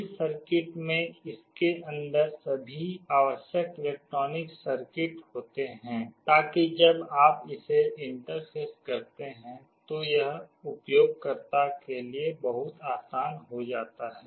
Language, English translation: Hindi, This circuit has all the required electronic circuit inside it, so that when you interface it, it becomes very easy for the user